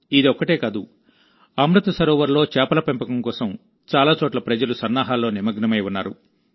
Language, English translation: Telugu, Not only this, people at many places are also engaged in preparations for fish farming in Amrit Sarovars